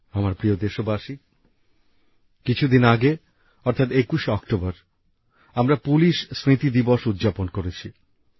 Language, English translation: Bengali, just a few days ago, on the 21st of October, we celebrated Police Commemoration Day